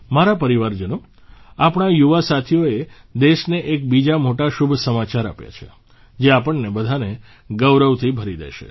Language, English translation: Gujarati, My family members, our young friends have given another significant good news to the country, which is going to swell all of us with pride